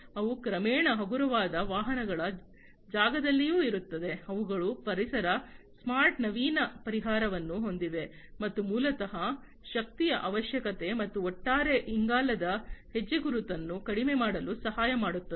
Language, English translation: Kannada, They are also gradually into the lightweight vehicles space, they have the eco smart innovative solution, which basically helps in reducing the energy requirement and the overall carbon footprint